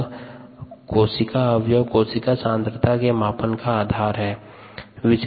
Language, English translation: Hindi, so those are the methods for total cell concentration measurement